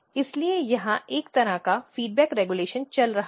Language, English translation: Hindi, So, there is a kind of feedback regulation going on here